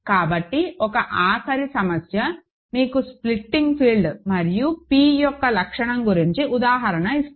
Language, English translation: Telugu, So, one final problem let me just to give you an example of splitting fields and characteristic p